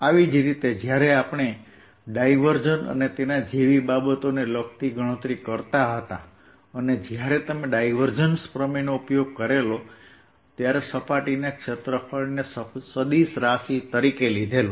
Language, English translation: Gujarati, similarly, when we were calculating divergence and things like those, and when you use divergence theorem, we took surface area as a vector